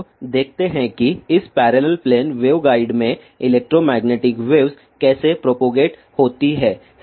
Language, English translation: Hindi, Now, let us see how electromagnetic wave propagate in this parallel plane waveguide